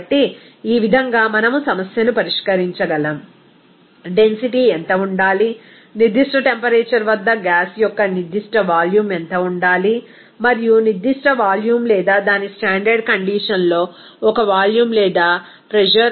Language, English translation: Telugu, So, in this way we can solve the problem what should the density, what should be the specific volume of the gas at a certain temperature and pressure based on specific volume or a volume or pressure at its standard condition